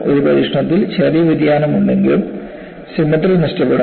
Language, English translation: Malayalam, In an experiment, symmetry will be lost, even if there is some small deviation